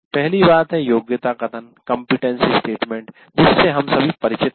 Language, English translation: Hindi, First thing is competency statement that we are all familiar with